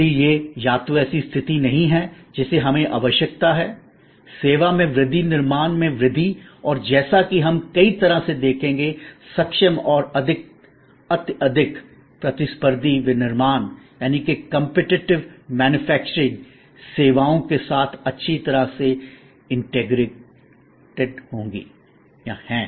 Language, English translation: Hindi, So, it is not either or situation we need therefore, growth in service growth in manufacturing and as we will see in many ways highly competent and highly competitive manufacturing is well integrated with services